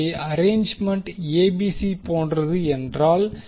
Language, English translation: Tamil, So, if the arrangement is like ABC